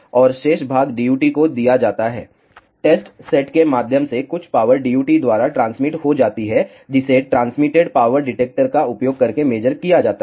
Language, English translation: Hindi, And, the rest of the part is given to the DUT, through test set some of the power gets transmitted by the DUT, which is measured using transmitted power detector